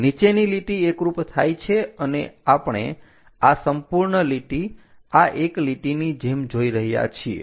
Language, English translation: Gujarati, Bottom one coincides and we see this entire line as this one